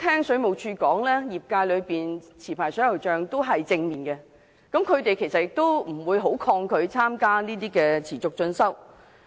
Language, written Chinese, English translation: Cantonese, 水務署表示，持牌水喉匠對該計劃反應正面，並不抗拒參與持續進修。, According to the Water Supplies Department WSD licensed plumbers responded positively to the scheme and did not resist joining it